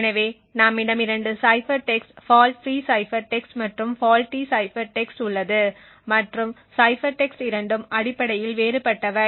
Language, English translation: Tamil, So we have two cipher text a fault free cipher text and a faulty cipher text and both the cipher text are essentially different